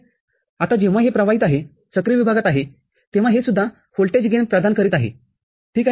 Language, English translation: Marathi, Now, when this one is conducting is in active region, this is also providing a voltage gain, ok